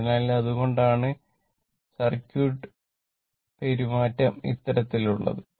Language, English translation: Malayalam, So, that is why circuit behavior is like your this thing